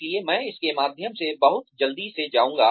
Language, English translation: Hindi, So, I will go through this, very very quickly